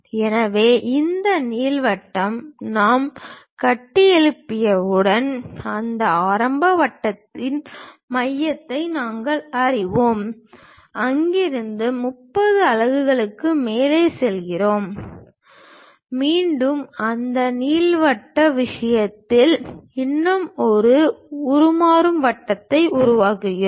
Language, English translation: Tamil, So, once we construct this ellipse what we have to do is, we know the center of that initial circle from there we go ahead by 30 units up, again construct one more transform circle into this elliptical thing